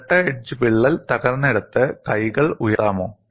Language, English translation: Malayalam, Can you raise the hands where the double edge crack has broken